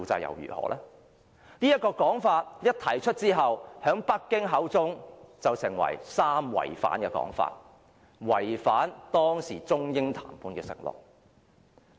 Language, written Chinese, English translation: Cantonese, 這個說法一提出後，在北京口中便成為"三違反"，被指違反當時中英談判的承諾。, However as soon as this idea was put forward it was dismissed by Beijing as three violations something that breached the undertakings made in the Sino - British negotiations of the time